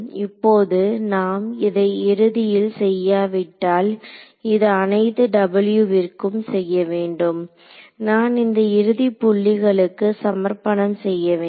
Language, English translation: Tamil, Now without doing this end so, this should be done for every W that I take I will have this end point contribution